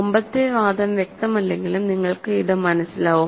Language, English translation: Malayalam, Even if the previous argument was not clear, you can follow this, right